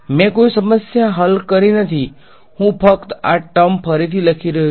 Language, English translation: Gujarati, I have not solved any problem I am just re writing these terms